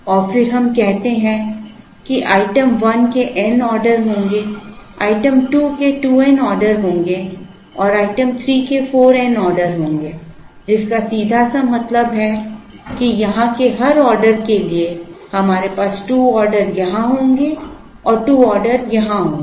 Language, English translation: Hindi, And then we say that item 1 will have n orders, item 2 will have 2 n orders and item 3 will have 4 n orders, which simply means that, for every order here, we will have 2 orders here and 2 orders here